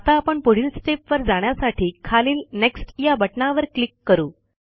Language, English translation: Marathi, OK, let us go to the next step now, by clicking on the Next button at the bottom